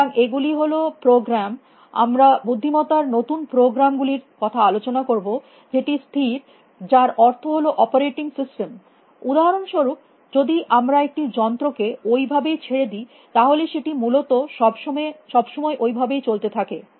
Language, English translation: Bengali, So, these are programs; we will talk of intelligence recent programs which are persistent which means like the operating systems, for example; if we leave a machine on that is exist all the times essentially